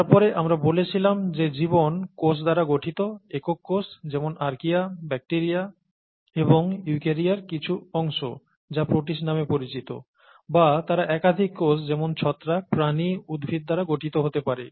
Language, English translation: Bengali, And then we said that life is made up of cells, either single cell, such as in archaea, bacteria, and some part of eukarya called protists and so on, or they could be made up of multiple cells such as fungi, animals, plants and so on